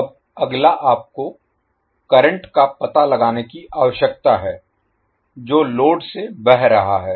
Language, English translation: Hindi, Now, next is you need to find out the current which is flowing through the load